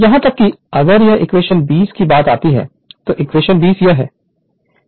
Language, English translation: Hindi, Even if you come to equation 20, your equation 20 this is equation 20